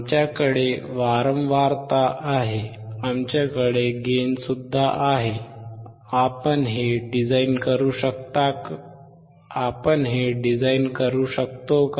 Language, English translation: Marathi, We have frequency; we have gain; can we design this